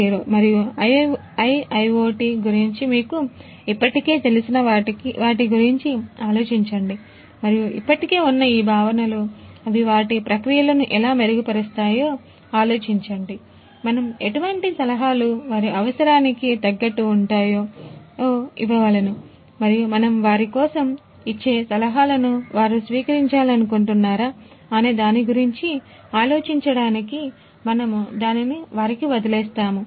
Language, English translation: Telugu, 0 and IIoT and think whether and how these existing concepts can improve their processes, and what prescription could to be meet to them and then we leave it to them to think about whether they would like to adopt whatever suggestions that we give for them